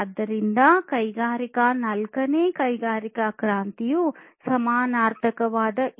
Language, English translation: Kannada, And this is this fourth industrial revolution or the Industry 4